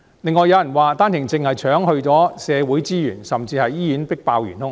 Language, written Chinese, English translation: Cantonese, 另外，有人說單程證移民搶走社會資源，甚至是醫院迫爆的元兇。, Furthermore some have argued that OWP entrants have robbed us of our social resources and that they are even the main culprit for the overload on our hospitals